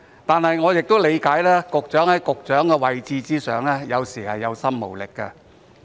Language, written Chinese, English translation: Cantonese, 可是，我亦理解局長在其位置上，有時候是有心無力的。, I nonetheless understand that sometimes the Secretary constrained by his position may have the heart to do something but just lacks the power